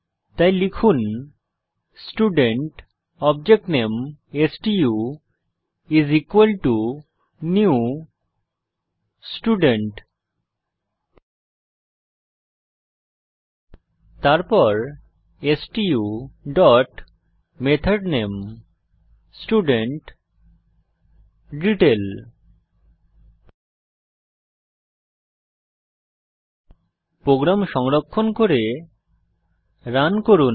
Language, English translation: Bengali, So type Student object name stu equal to new Student Then stu dot method name i.estudentDetail Save and Run the program